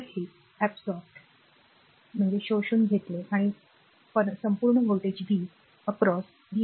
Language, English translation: Marathi, So, it absorbed power and across this voltage is v, v is equal to iR